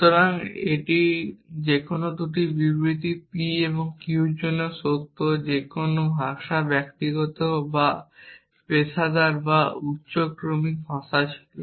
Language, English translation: Bengali, So, this is true for any 2 statements p and q whether had any language personal or professional or high order language